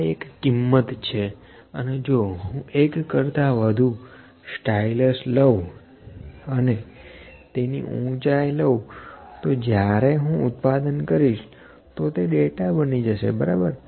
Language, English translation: Gujarati, This is one value and if I take multiple styluses and take the height of that that might become data when I manufacture that, ok